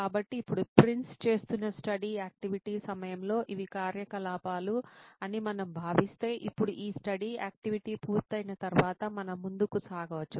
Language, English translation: Telugu, Then so now if we considered these are the activities during the studying activity what Prince would be carrying out, so now we can move on to the after this studying activity is done